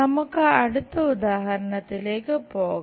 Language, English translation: Malayalam, Let us move on to the next example